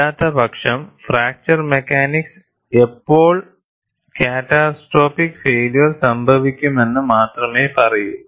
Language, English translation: Malayalam, Otherwise fracture mechanics only says, when catastrophic failure will occur